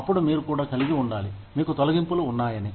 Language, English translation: Telugu, Then, you also need to have, you have layoffs